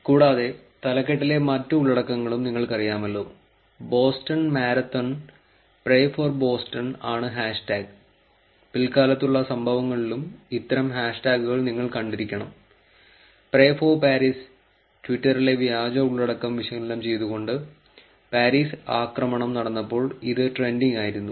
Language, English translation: Malayalam, And you know all the otherwise the content in the title, hash tag is Boston Marathon, pray for Boston, I think in the later events also, you would have seen such kind of hash tags, pray for Paris, which was actually also trending when the Paris attack was happened, when the Paris attack happened, analysing fake content on twitter